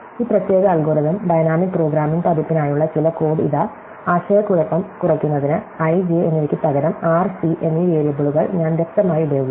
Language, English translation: Malayalam, So, here is some code for this particular algorithm, the dynamic programming version, just to make it less confusing, I have explicitly used the variables r and c, instead of i and j